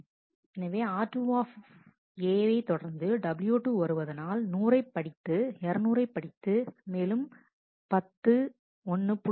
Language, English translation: Tamil, So, when r 2 A is followed by w 2, r 2 A 100 read 200 and that 10, 1